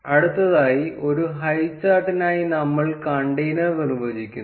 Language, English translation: Malayalam, Next, we define the container for a highchart